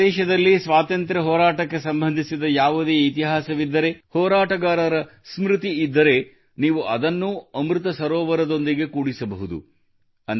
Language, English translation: Kannada, If there is any history related to freedom struggle in your area, if there is a memory of a freedom fighter, you can also connect it with Amrit Sarovar